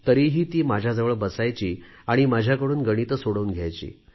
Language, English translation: Marathi, Yet, she would sit by me and ask me to solve problems in Mathematics